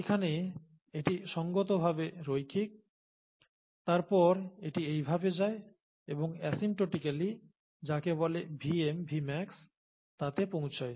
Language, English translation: Bengali, It is reasonably linear here, then it goes like this and asymptotically reaches what is called a Vm, Vmax